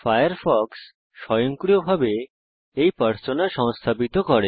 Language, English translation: Bengali, Firefox installs this Persona automatically